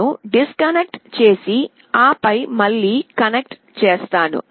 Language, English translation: Telugu, I will disconnect and then again connect